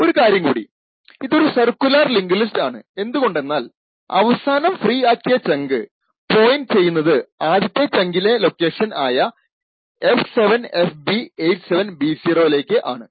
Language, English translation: Malayalam, Also note that this is a circular linked list because the last freed chunk in the list also points to the same location as that of the first chunk that is f7fb87b0